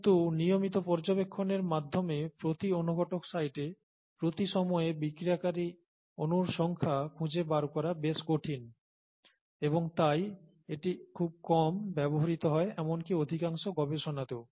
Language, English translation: Bengali, But it’s rather difficult to find out the number of molecules reacted per catalyst site per time through regular investigations and therefore it is rarely used even in most research, okay